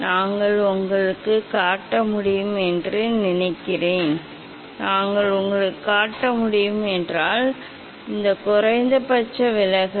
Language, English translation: Tamil, I think we can show you; we can show you, yes, this is the yeah this is the minimum position deviation